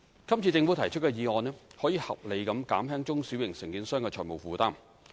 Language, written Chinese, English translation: Cantonese, 今次政府提出的議案可以合理地減輕中小型承建商的財務負擔。, The motion proposed by the Government can reasonably alleviate the financial burden of small and medium contractors